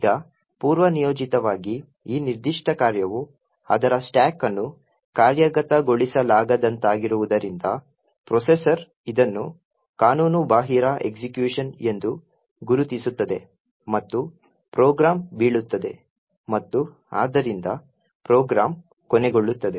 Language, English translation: Kannada, Now since this particular function by default would have its stack as non executable therefore the processor detects this as an illegal execution being made and falls the program and therefore the program terminates